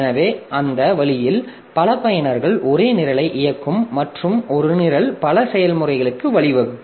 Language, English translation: Tamil, So, that way we can have multiple users executing the same program and one program can lead to several processes